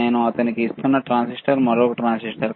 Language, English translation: Telugu, Transistor that I am giving it to him and this is another transistor